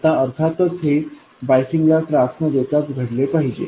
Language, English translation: Marathi, Now of course this must happen without disturbing the bias